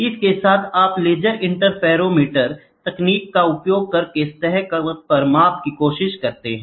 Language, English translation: Hindi, With this, you can try to measure on a surface using laser interferometer techniques